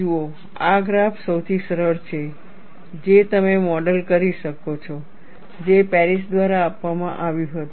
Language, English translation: Gujarati, See, this graph is simplest one you can model; that was given by Paris